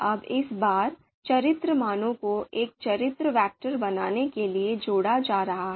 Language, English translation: Hindi, Now this time, character values are being combined to create a character vector